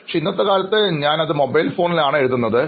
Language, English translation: Malayalam, But sometimes like in nowadays, but in earlier days I used to write in mobile phones